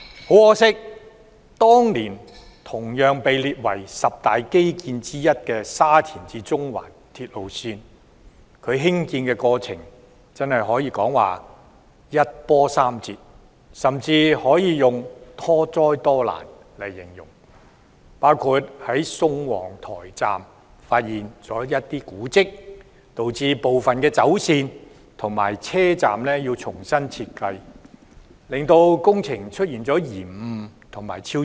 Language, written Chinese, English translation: Cantonese, 很可惜，當年同被列為十大基建之一的沙田至中環線，其興建過程可謂一波三折，甚至可以用多災多難來形容，包括在宋皇臺站發現古蹟，導致部分走線和車站要重新設計，令工程出現延誤和超支。, Unfortunately the construction of the Shatin to Central Link SCL being one of the 10 Major Infrastructure Projects proposed years ago has been beset with difficulties . One can even say that the SCL Project has met various setbacks and obstacles . These include the discovery of historical monuments at the Sung Wong Toi Station site such that part of the alignment and stations have to be redesigned thereby causing cost overruns and delays of the Project